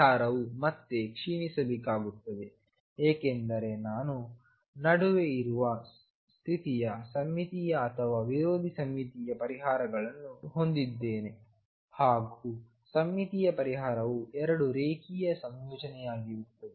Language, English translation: Kannada, The solution again has to decay because the bound state in between I am going to have either symmetric or anti symmetric solutions the symmetric solution would be linear combination with two